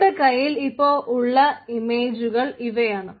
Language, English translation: Malayalam, so these are the images that we currently have